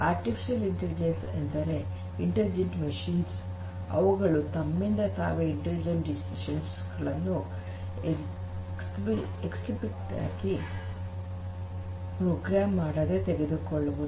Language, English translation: Kannada, Intelligent machines, which will make take their own decisions without being explicitly programmed to do so